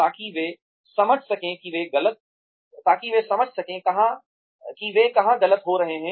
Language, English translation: Hindi, So that they are able to understand, where they are going wrong